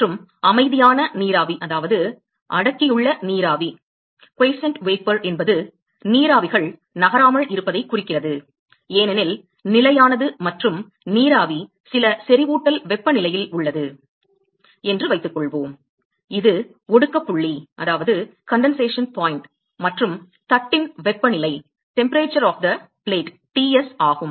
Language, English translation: Tamil, And let us assume that quiescent vapor it means that the vapors are not moving, because stationary and let us say that the vapor is at some saturation temperatures which is the condensation point and the temperature of the plate is Ts